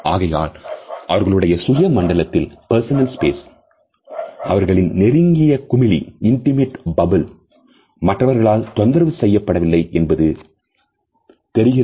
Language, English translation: Tamil, So, that they can understand that their personal space that their intimate bubble is not being disturbed by others